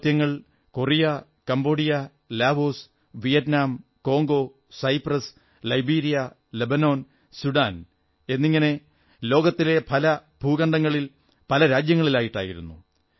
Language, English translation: Malayalam, These operations have been carried out in Korea, Cambodia, Laos, Vietnam, Congo, Cyprus, Liberia, Lebanon, Sudan and many other parts of the world